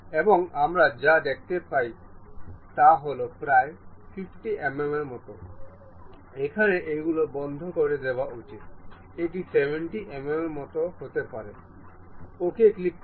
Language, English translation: Bengali, And what we would like to have is close the object something like some 50 mm, maybe something like 70 mm, click ok